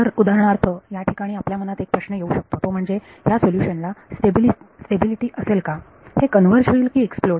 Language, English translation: Marathi, So, for example, a question that can come over here is, does the solution have stability, does it converge or does it explode